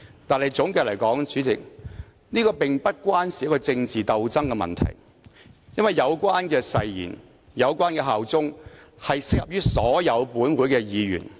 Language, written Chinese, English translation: Cantonese, 不過，總的來說，主席，這並不涉及政治鬥爭的問題，因為有關誓言和效忠的條文適用於本會所有議員。, However President in short this does not involve any political struggles because the provisions relating to oaths and allegiance are applicable to all Members of this Council